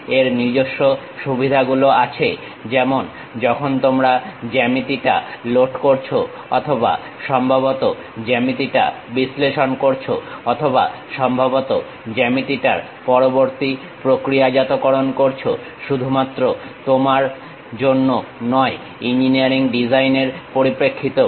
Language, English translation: Bengali, It has its own advantages like when you are loading the geometry or perhaps analyzing the geometry or perhaps post processing the geometry not only in terms of you, even for engineering design perspective